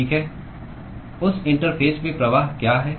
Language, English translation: Hindi, Okay, what is the flux at that interface